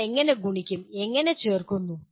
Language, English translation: Malayalam, How do you multiply, how do you add